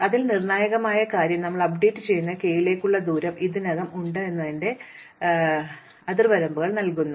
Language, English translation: Malayalam, So, the crucial thing is that we update gives us some upper bound that the distance to k, we already have